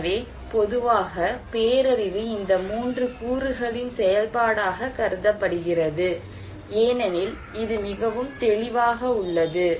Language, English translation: Tamil, So, disaster in general is considered to be the function of these 3 components as it is very clear